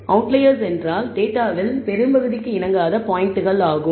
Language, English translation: Tamil, So, outliers are points, which do not con form to the bulk of the data